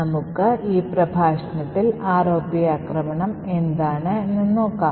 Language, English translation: Malayalam, So, let us start this particular lecture with what is the ROP attack